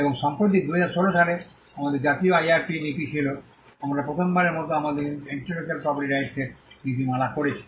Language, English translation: Bengali, And recently in 2016, we had the National IRP policy, we had for the first time we had a policy on intellectual property rights